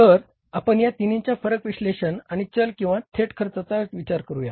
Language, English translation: Marathi, So, we will go for the variance analysis of these three components of the variable cost or the direct cost